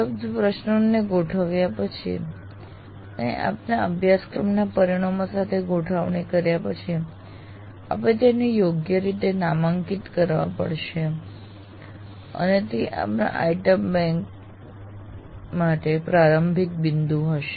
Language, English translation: Gujarati, Then you have to, after curating these questions that are available and making them in alignment with your course outcomes, then you have to just tag them appropriately and that will be starting point for your item bank